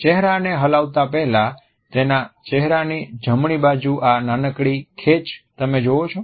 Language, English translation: Gujarati, Do you see this little twitch on the right side of his face here before he shakes